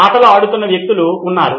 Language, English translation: Telugu, There are people playing games